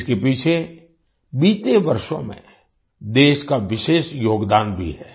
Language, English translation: Hindi, There is also a special contribution of the country in the past years behind this